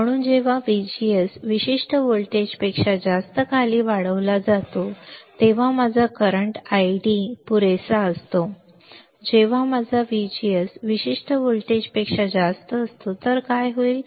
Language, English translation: Marathi, So, when VGS is increased below greater than particular voltage my current I D is sufficient to for when my VGS is greater than particular voltage, th what will happen